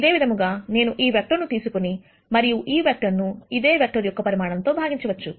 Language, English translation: Telugu, Is I could take this vector and then divide this vector by the magnitude of this vector